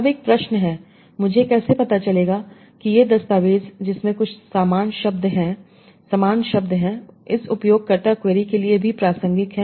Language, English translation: Hindi, Now one question is how do I find out that these documents that contains some similar words are also relevant to this user query